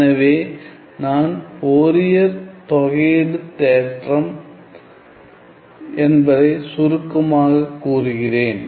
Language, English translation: Tamil, So, let me just briefly state what is the Fourier integral theorem